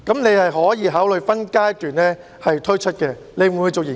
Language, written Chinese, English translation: Cantonese, 你可以考慮分階段推出，你會否作出研究？, You can consider putting up PRH estates for sale in phases; would you conduct such study?